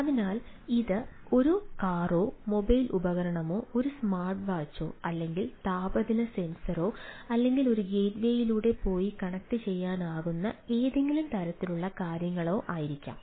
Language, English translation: Malayalam, so whether it is a car or mobile device, a smart watch or a temperature sensor or any type of things, right, which is which which can go through a gateway and connect it, connect to the things